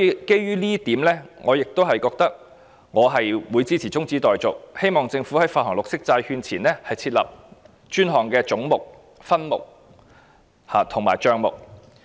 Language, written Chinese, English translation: Cantonese, 基於這一點，我支持中止待續議案，希望政府在發行綠色債券前設立專項的總目、分目及帳目。, Based on this point I support the adjournment motion and hope that the Government will establish dedicated heads subheads and accounts before issuing green bonds